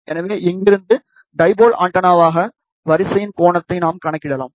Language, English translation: Tamil, So, from here, we can also calculate the angle of the dipole antenna array